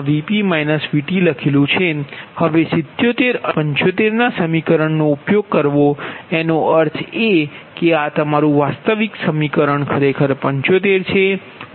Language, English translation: Gujarati, right now, using equation seventy seven and seventy five, right, that means this is your seventy five